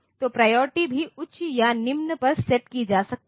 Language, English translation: Hindi, So, priority can also be set to high or low